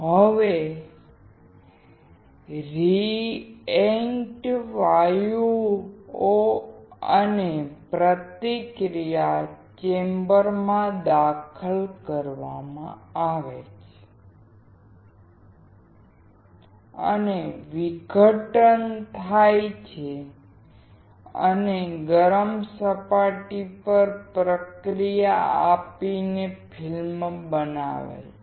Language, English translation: Gujarati, Now, the reactant gases are introduced into reaction chamber and are decomposed and reacted at a heated surface to form the film